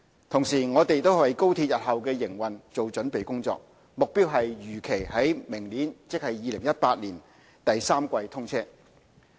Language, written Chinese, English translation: Cantonese, 同時，我們也為高鐵日後的營運做準備工作，目標是如期於明年第三季通車。, At the same time we are preparing for the operation of the XRL with a view to commissioning the XRL by the third quarter of next year ie . 2018 as scheduled